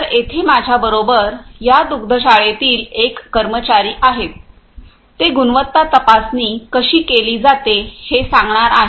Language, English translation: Marathi, So, here I have with me one of the staffs of this dairy, who is going to explain how the quality checking is done